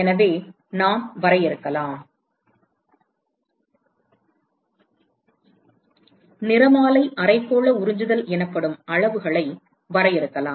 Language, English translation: Tamil, So, we can define, we can define quantities called the spectral hemispherical absorptivity